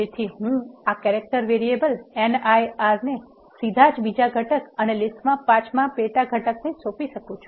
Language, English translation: Gujarati, So, I can directly assign this character variable Nir to the second component and fifth sub component of the list